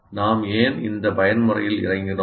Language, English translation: Tamil, And why did we get into this mode